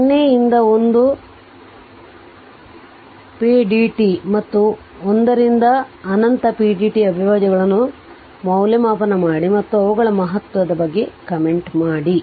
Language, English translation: Kannada, Evaluate the integrals 0 to 1 pdt and 1 to infinity pdt and comment on the ah on their significance so